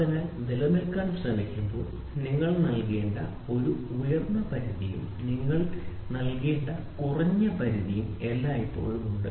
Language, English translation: Malayalam, So, those things when we try to take into existence there is always an upper limit which you have to give and a lower limit which you have to give